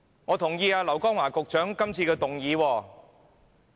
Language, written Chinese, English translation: Cantonese, 我支持劉江華局長今次的議案。, I support the motion of Secretary LAU Kong - wah this time around